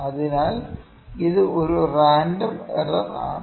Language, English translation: Malayalam, So, this is the kind of a random error